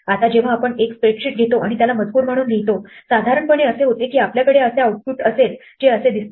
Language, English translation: Marathi, Now when we take a spreadsheet and write it out as text, usually what happens is that we will have an output which looks like this